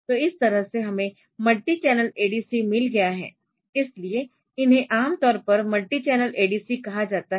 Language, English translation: Hindi, So, that way we have got multi channel ADC's also so, these are commonly known as multi channel ADC's